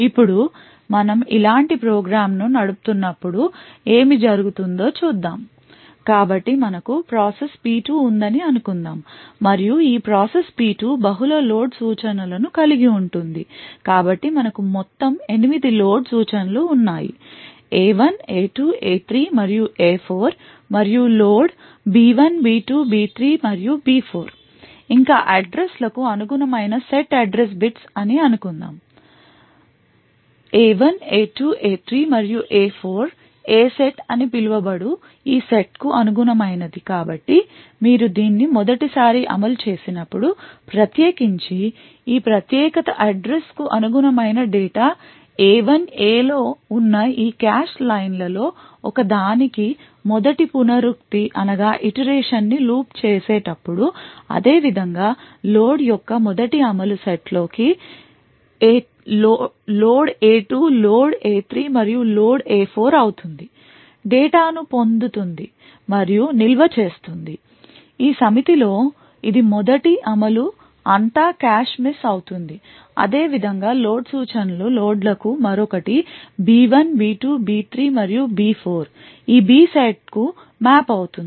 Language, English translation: Telugu, Now, let's look at what would happen when we run a program like this so let us say we have process P2 and this process P2 comprises of multiple load instructions so we have in total eight load instructions load A1 A2 A3 and A4 and load B1 B2 B3 and B4 further let us assume that the set address bits corresponding to the addresses A1 A2 and A3 and A4 corresponding to this set known as the A set so thus when for the first time you execute this particular while loop the first iteration of this particular while loop the data corresponding to address A1 gets loaded into the set into one of these cache lines present in the A set similarly the first execution of load A2 load A3 and load A4 would fetch data and store it in this A set thus the first execution would all be cache misses right similarly we have another for load instructions load B1 B2 B3 and B4 which get mapped to this B set